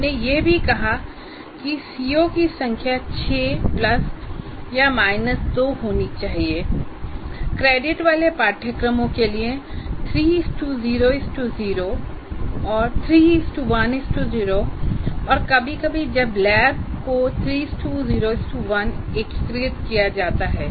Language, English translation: Hindi, Now, we also said the number of COs should be 6 plus or minus 2 for courses with 3 is to 0, 3 is 2 is 2 and sometimes when the lab is integrated it will be 3 is 0 is to 1